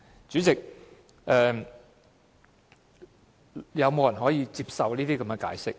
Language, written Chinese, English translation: Cantonese, 主席，有沒有人可以接受這樣的解釋？, President is this an acceptable explanation?